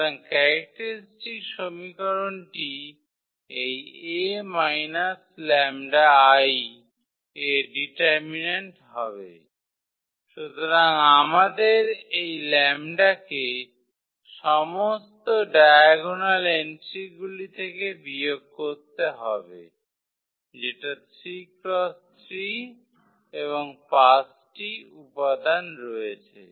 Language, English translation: Bengali, So, the characteristic equation will be determinant of this a minus lambda I, so we have to subtract this lambda from all the diagonal entries which is 3 3 and 5 there